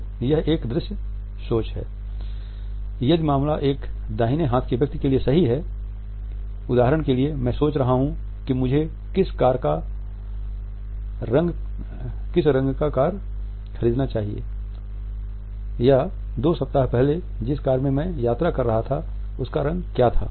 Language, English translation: Hindi, If the case goes up for a right handed person it means that, it is a visual thinking for example, I might be thinking what colour of a car I should purchase or what was the colour of a car I was travelling two weeks back